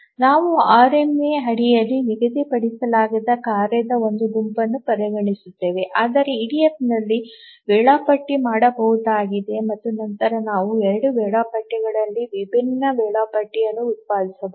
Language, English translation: Kannada, So we will consider a task set on schedulable under RMA but schedulable in EDF and then of course we can find the two schedulers produce different schedules